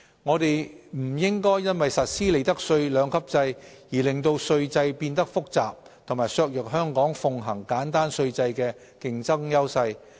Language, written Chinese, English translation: Cantonese, 我們不應因實施利得稅兩級制而令稅制變得複雜及削弱香港奉行簡單稅制的競爭優勢。, We should not by implementing the two - tiered profits tax rates regime complicate the tax system and undermine Hong Kongs competitive edge of having a simple tax regime